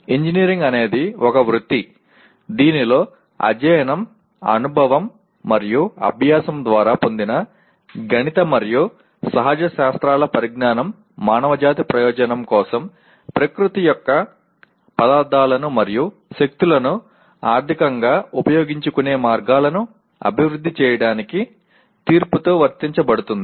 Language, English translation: Telugu, Engineering is a profession in which a knowledge of the mathematical and natural sciences gained by study, experience and practice is applied with judgment to develop ways to utilize economically the materials and forces of nature for the benefit of mankind